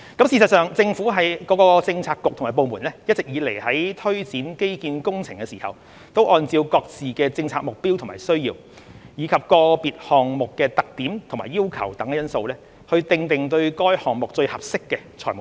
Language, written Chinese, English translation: Cantonese, 事實上，政府各個政策局和部門一直以來在推展基建工程的時候，會按照各自的政策目標和需要，以及個別項目的特點和要求等因素，訂定對該項目最合適的財務方案。, When taking forward infrastructure projects government bureaux and departments have all along been drawing up the most suitable financial proposals having regard to their policy objectives and needs as well as the characteristics and requirements of individual projects